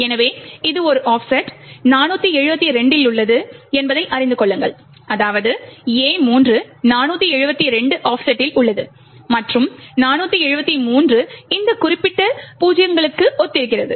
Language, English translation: Tamil, So, know that this is at an offset 472, that is, A3 is at an offset of 472 and 473 corresponds to this particular 0s